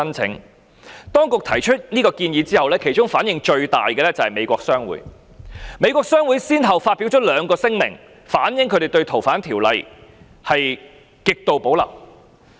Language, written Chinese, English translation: Cantonese, 政府當局提出修訂建議後，反應最大的是美國商會，美國商會先後發表兩項聲明，反映他們對該條例的修訂有極度保留。, The American Chamber of Commerce in Hong Kong reacted most strongly to the legislative amendment proposed by the Administration . It has issued two statements to express their extreme reservation about the amendment to the ordinance